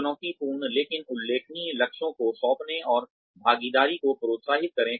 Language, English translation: Hindi, Assign challenging, but doable goals and encourage participation